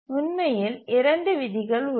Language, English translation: Tamil, There are actually two rules